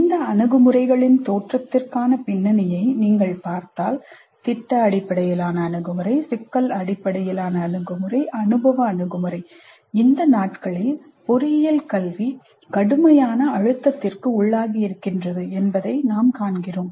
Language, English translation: Tamil, If you look at the background for the emergence of these approaches, product based approach, problem based approach, experiential approach, we see that the context is that the engineering education is under severe pressure these days